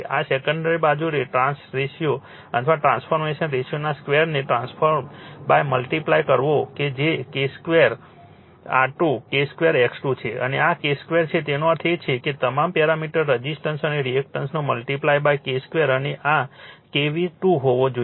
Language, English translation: Gujarati, And secondary side you have transform by multiplying your what you call just square of the trans ratio or transformation ratio that is K square R 2, K square X 2 and this is K square all that means, all the parameters resistance and reactance you have to multiply by K square and this should be K V 2